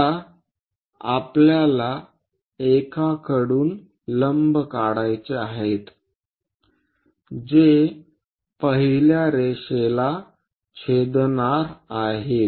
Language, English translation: Marathi, Now, from one we have to draw perpendiculars which are going to intersect first line